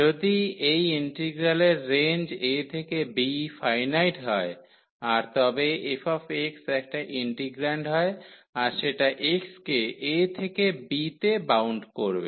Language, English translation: Bengali, If the range here a to b of this integral is finite and the integrand so, the f x is the integrand here and that is bounded in this range a to b for x